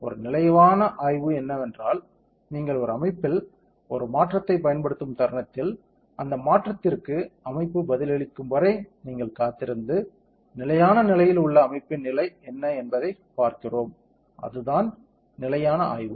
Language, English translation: Tamil, A stationary study is that, the moment you apply a change in a system you wait for the system to respond to that change and stabilize, then we see what is the state of the system at the stable state, that is the stationary study